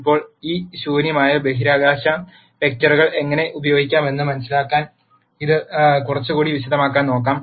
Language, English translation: Malayalam, Now, let us look at this in little more detail to understand how we can use this null space vectors